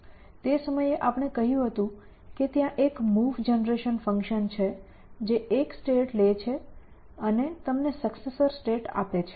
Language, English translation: Gujarati, So, that time we said there is a move generation function, which takes a state and gives you successors state